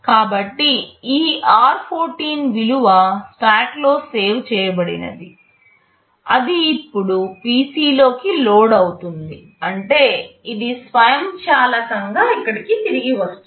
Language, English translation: Telugu, So, whatever this r14 value was saved in the stack that will now get loaded in PC, which means it will automatically return back here